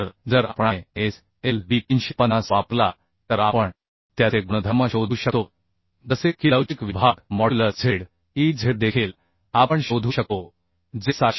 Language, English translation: Marathi, So if we use ISLB 350, then we can find out its properties, properties like the elastic section modulus, Zez